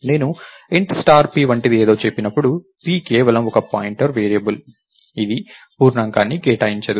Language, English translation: Telugu, So, when I said something like int star p right, p is just a pointer variable, it does not allocate an integer